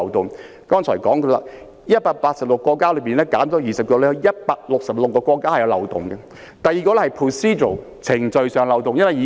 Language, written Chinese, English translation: Cantonese, 我剛才說過，全球186個國家之中，減去20個後，本港與166個國家之間的安排是存在漏洞的。, As I have just said if we subtract 20 countries from the 186 countries around the world there are still 166 countries which represent a loophole in relation to SFO arrangements with Hong Kong